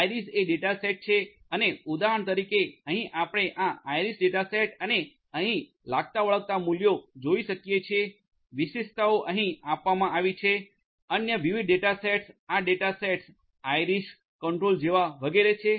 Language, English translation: Gujarati, Iris is the data set and for example, over here as you can see this iris data set and the corresponding values that are over here, the features are given over here these are these different other data sets like the data set, iris, the control etcetera